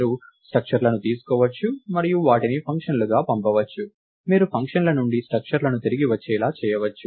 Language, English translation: Telugu, You can take structures and pass them on to functions, you can also make structures return from functions